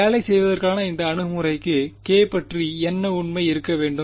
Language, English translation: Tamil, For this approach to work what must be true about k